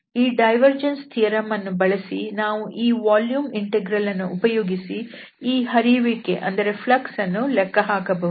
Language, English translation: Kannada, So using this divergence theorem, this flux we are computing using this volume integral